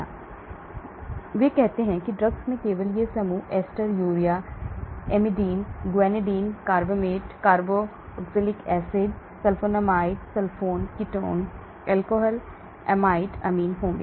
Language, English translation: Hindi, So they say drugs will have only these groups ester, urea, amidine, guanidine, carbamate, carboxylic acid, sulfonamide, sulfone, ketone, alcohol, amide, amine